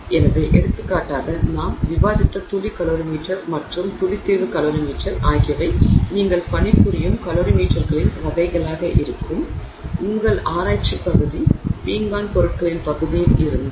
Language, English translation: Tamil, So, for example, the drop calorie meter and the drop solution calorie meter that I discussed would be the kinds of calorie meters you would work with if your research area is in the area of ceramic materials